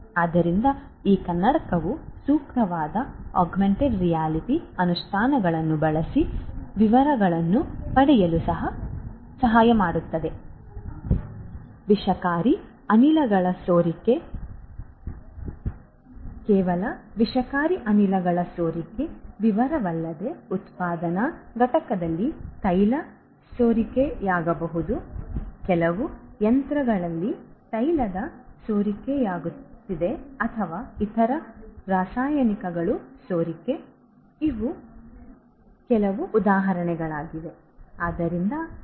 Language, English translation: Kannada, So, these glasses could help using suitable augmented reality implementations to get details of let us say details of leakage of toxic gases toxic gases, leakage of not just toxic gases, but also may be leakage of oil in a manufacturing plant maybe some machine some oil is getting leaked and so on or maybe some other chemicals leakage of other chemicals these are some of these examples